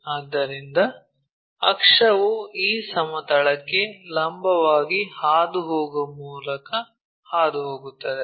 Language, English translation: Kannada, So, axis pass through that passing perpendicular to this plane